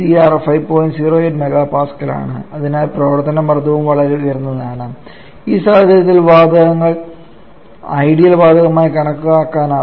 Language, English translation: Malayalam, 08 mega Pascal so the working pressure is also much higher and no we can assuming the any of the gases to be ideal gas in this scenario